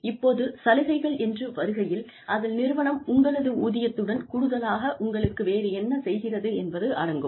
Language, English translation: Tamil, Now, when we talk about benefits, we are essentially talking about things, that the company does for you, in addition to your salary